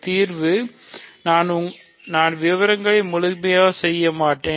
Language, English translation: Tamil, So, solution; so, I will not do the details fully